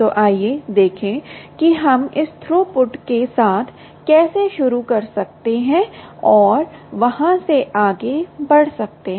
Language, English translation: Hindi, ok, so so let us see how we can um start with this throughput and move on from there